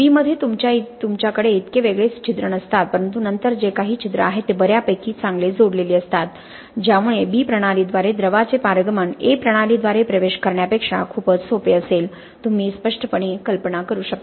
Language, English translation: Marathi, In B you do not have so many discrete pores but then whatever pores are there are fairly well connected because of which the permeation of a liquid through the B system will be much easier than the permeation through the A system right you can clearly imagine that